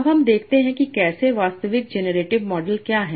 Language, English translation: Hindi, Now let us see how what is the actual generative model